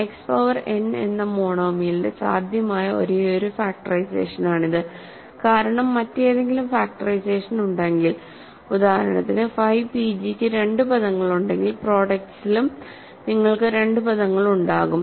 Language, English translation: Malayalam, This is the only possible factorization of a monomial of the form a constant times X power n because if there is any other factorization that means, if for example, phi p g has two terms then in the product also you will have two terms